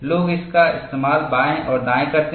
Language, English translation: Hindi, People use it left and right